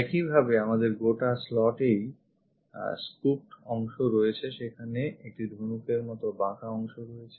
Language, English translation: Bengali, Similarly, we have this entire slot scooped out region, there is an arc